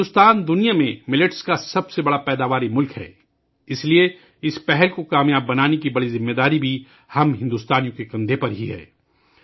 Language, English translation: Urdu, India is the largest producer of Millets in the world; hence the responsibility of making this initiative a success also rests on the shoulders of us Indians